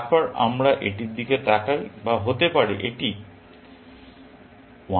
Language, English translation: Bengali, Then, we look at this or may be this one is 1